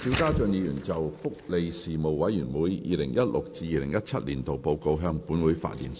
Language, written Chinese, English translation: Cantonese, 邵家臻議員就"福利事務委員會 2016-2017 年度報告"向本會發言。, Mr SHIU Ka - chun will address the Council on the Report of the Panel on Welfare Services 2016 - 2017